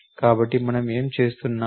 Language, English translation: Telugu, So, what are we doing